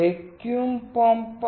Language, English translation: Gujarati, There is a vacuum pump